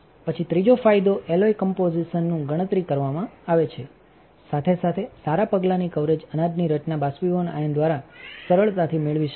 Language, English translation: Gujarati, Then the third advantage is computed control of the alloy composition, along with good step coverage grain structure is easily obtained through evaporation